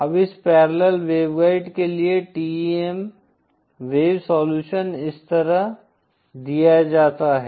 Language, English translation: Hindi, Now the TEM wave solution for this parallel waveguide is given like this